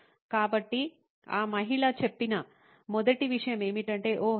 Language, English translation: Telugu, ’ So, the first thing that the lady said was, ‘Oh